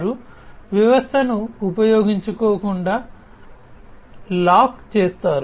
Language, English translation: Telugu, So, they will lock the system from being used